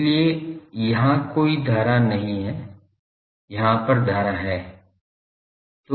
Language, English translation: Hindi, So, here there are no current, current is here